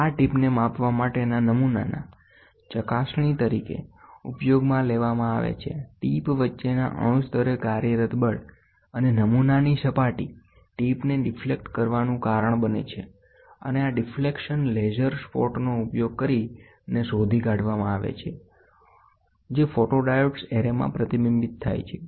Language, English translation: Gujarati, This tip is used as a probe on the specimen to be measured, the force acting at atomic level between the tip and the surface of the specimen causes the tip to deflect and this deflection is detected using a laser spot which is reflected to an array of photodiodes